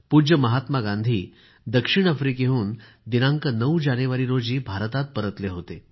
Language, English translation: Marathi, It was on the 9 th of January, when our revered Mahatma Gandhi returned to India from South Africa